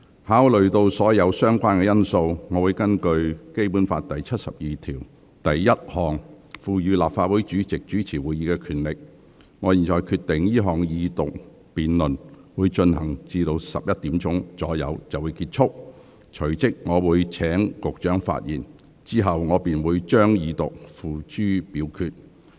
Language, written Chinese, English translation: Cantonese, 考慮到所有相關因素，並根據《基本法》第七十二條第一項賦予立法會主席主持會議的權力，我現在決定這項二讀辯論進行至上午11時左右便結束，隨即請局長發言，之後我會將二讀議案付諸表決。, Considering all the relevant factors and with the power to preside over meetings which is vested with the President under Article 721 of the Basic Law I have now decided to end this Second Reading debate around 11col00 am and then call upon the Secretary to speak . After that I will put the motion for the Second Reading of the Bill to vote